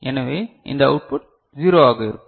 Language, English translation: Tamil, So, these output will be 0